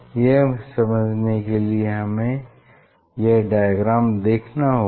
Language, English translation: Hindi, to understand that one we have to, so we have to see this diagram, we have to see this diagram